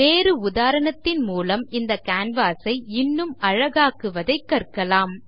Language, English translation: Tamil, Lets look at another example and also learn how to beautify our canvas